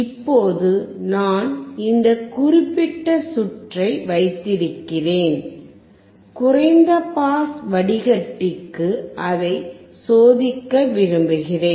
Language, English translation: Tamil, Now I have this particular circuit and I want to test it for the low pass filter experiment